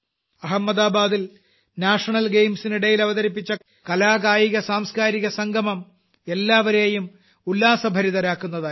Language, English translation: Malayalam, The way art, sports and culture came together during the National Games in Ahmedabad, it filled all with joy